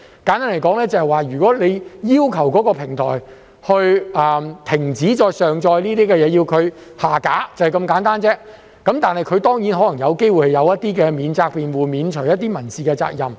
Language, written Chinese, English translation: Cantonese, 簡單而言，如果當局要求某平台停止再上載某些資料，並要求其將有關資料下架——就是如此簡單而已——它可能有機會有一些免責辯護，以免除它一些民事責任。, To put simply if the authorities request a platform to stop further uploading certain information and to remove the information concerned―something as simple as that―the platform may put up a defence to get rid of some civil liabilities